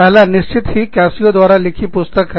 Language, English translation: Hindi, The first one is, of course, Cascio